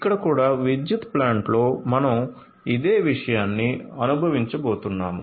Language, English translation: Telugu, So, here also in the power plant we are going to experience the same thing